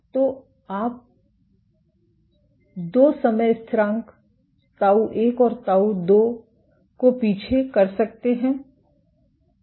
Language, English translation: Hindi, So, you can backtrack two time constants, tau 1 and tau 2